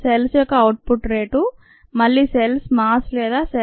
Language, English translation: Telugu, the rate of output of cells again mass of cells or number of cells is zero